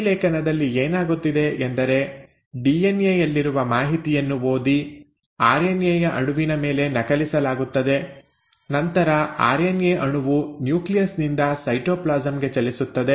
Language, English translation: Kannada, So in transcription, what is happening is that the information which is present in the DNA is read and copied onto an RNA molecule, and then the RNA molecule moves out of the nucleus into the cytoplasm